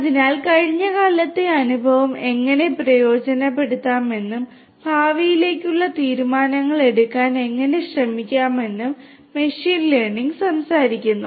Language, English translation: Malayalam, So, machine learning talks about that how you can try to harness the experience from the past and try to make decisions for the future